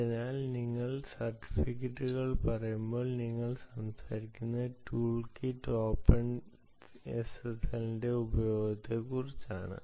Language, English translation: Malayalam, so when you say certificates, you are talking about the use of toolkit, openssl